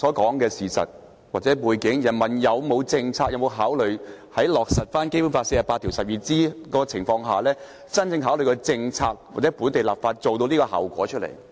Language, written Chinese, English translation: Cantonese, 基於剛才所說的事實或背景，在落實《基本法》第四十八條第項的情況下，當局會否真正考慮以實施政策或本地立法來達致這種效果？, In the light of the facts or background mentioned earlier will the authorities seriously consider the implementation of a specific policy or the enactment of local legislation as a means of implementing BL 4812?